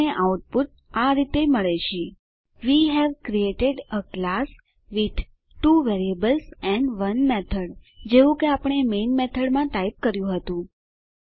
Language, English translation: Gujarati, We get the output as: We have created a class with 2 variables and 1 method just as we had typed in the main method